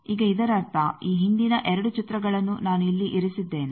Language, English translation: Kannada, Now, that means, that in this the previous 2 pictures I have put here